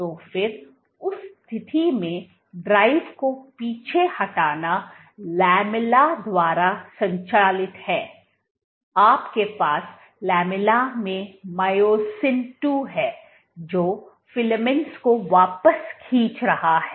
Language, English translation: Hindi, So, then in that case what drives the retraction, retraction is driven by the lamella, you have myosin II in the lamella which is pulling the filaments back